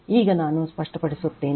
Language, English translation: Kannada, So, now let me clear it